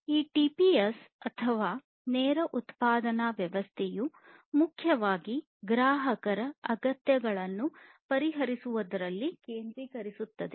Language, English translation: Kannada, So, this TPS or this lean production system it mainly focuses on addressing the customer’s needs directly